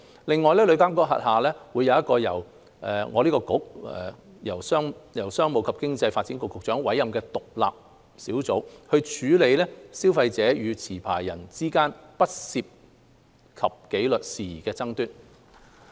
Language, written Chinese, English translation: Cantonese, 另外，旅監局轄下會有一個由商務及經濟發展局局長委任的獨立小組，處理消費者與持牌人之間不涉及紀律事宜的爭議。, In addition an independent panel will be appointed by the Secretary for Commerce and Economic Development under TIA to handle disputes between consumers and licensees that do not involve disciplinary matters